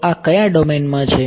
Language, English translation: Gujarati, So, this is in which domain